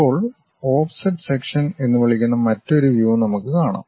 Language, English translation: Malayalam, Now, let us look at another view which we call offset sections